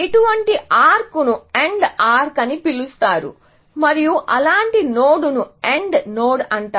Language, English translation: Telugu, Such an arc is called as AND arc, and such a node is called an AND node